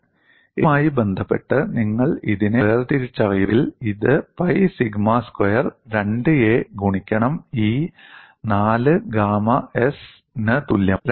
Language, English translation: Malayalam, If, you differentiate it with respect to a, you will get this as pi sigma squared 2a divided by E equal to 4 gamma s